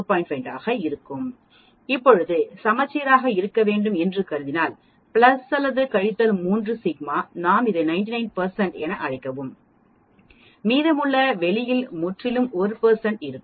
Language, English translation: Tamil, 5 percent assuming need to be symmetric now similarly plus or minus 3 sigma if we call this as 99 percent the remaining outside will be totally 1 percent